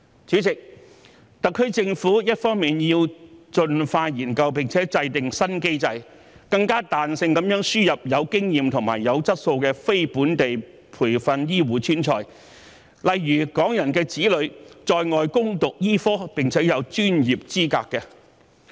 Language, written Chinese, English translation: Cantonese, 主席，特區政府一方面要盡快研究及制訂新機制，更彈性地輸入具經驗和具質素的非本地培訓醫護專才，例如在外攻讀醫科並獲得專業資格的港人子女。, President the HKSAR Government should on one hand expeditiously explore and formulate a new mechanism for importing experienced and quality non - locally trained healthcare professionals more flexibly such as the children of Hong Kong people who studied medicine overseas and have acquired professional qualifications